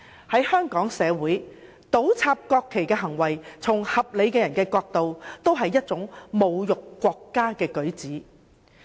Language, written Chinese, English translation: Cantonese, 在香港，合理的人均會認為倒插國旗是侮辱國家的舉止。, In Hong Kong any reasonable person would consider inverting the national flag an insulting act to the country